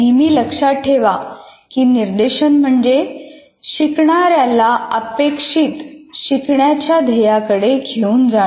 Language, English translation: Marathi, So you should always keep in mind that instruction is a facilitation of learners towards an identified learning goal